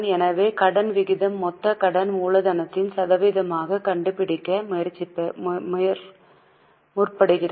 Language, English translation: Tamil, So, debt ratio seeks to find total debt as a percentage of capital employed